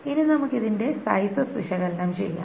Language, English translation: Malayalam, Now let us analyze the sizes of this